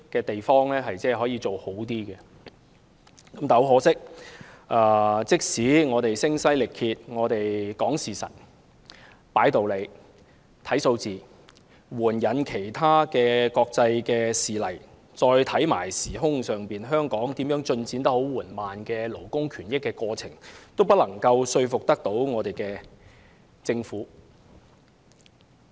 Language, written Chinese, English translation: Cantonese, 但很可惜，即使我們聲嘶力竭地說事實、擺道理、看數據，援引國際事例，並提到香港進展緩慢的勞工權益過程，也不能說服政府。, Yet unfortunately regardless of how we have shouted ourselves hoarse in explaining the case with facts reasons and figures and citing international cases to indicate the slow progress of labour rights and interests in Hong Kong the Government is still not convinced